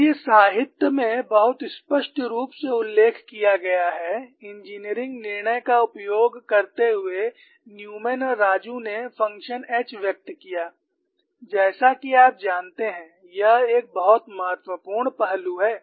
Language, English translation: Hindi, And it is very clearly mention in the literature, using engineering judgment Newman and Raju expressed the function h as that is a very important aspect; this function is not so simple